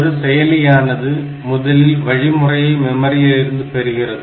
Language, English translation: Tamil, So, as if the processor is fetching the instruction from the memory